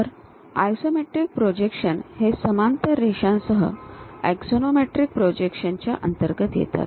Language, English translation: Marathi, So, isometric projections come under the part of axonometric projections with parallel lines we use it